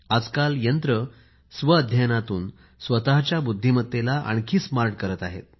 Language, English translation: Marathi, Through self learning, machines today can enhance their intelligence to a smarter level